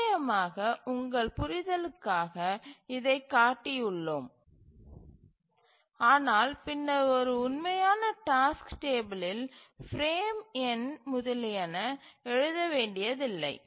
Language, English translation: Tamil, Of course, we have shown this for our understanding but then in a real task table we need not write the frame number etc so we just store the sequence in which the task to be executed